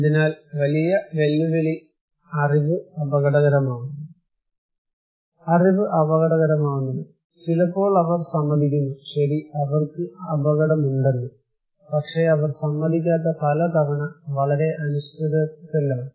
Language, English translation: Malayalam, So the big challenge is that, what people think what is risky their knowledge, sometimes sudden, sometimes they agree that okay we are at risk but many times they do not agree is very uncertain